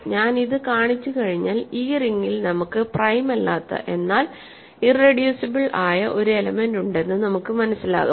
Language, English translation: Malayalam, Once I show this, it will follow that in this ring we have an element which is not prime, but it is irreducible